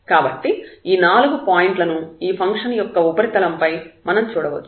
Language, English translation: Telugu, So, all these four possibilities are there and if we can see here in the surface of this function